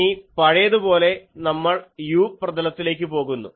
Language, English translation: Malayalam, Now, as before, we generally go to the u plane